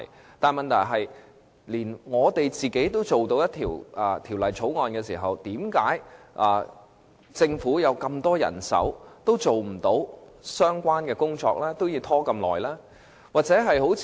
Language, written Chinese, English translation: Cantonese, 我想指出的是，如果連議員都能提交法案，為甚麼政府有這麼多人手，也未能完成有關工作，要拖延這麼長時間呢？, If even Members are capable of introducing Bills why can the Government given its abundant manpower not complete the relevant task after such a long delay?